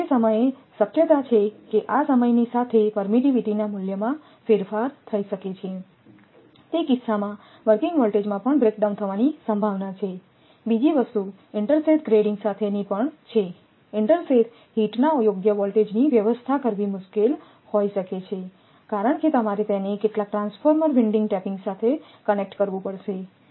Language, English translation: Gujarati, Then with the time, there is a possibility the permittivity your with the time this permittivity your value may alter in that case there is a possibility of breakdown even at the working voltage also another thing with intersheath grading it grading; it may be difficult to arrange the proper voltage of inters heath because you have to connect it to some transformer winding tapping